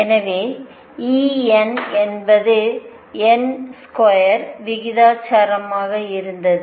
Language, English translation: Tamil, So, E n was proportional to n square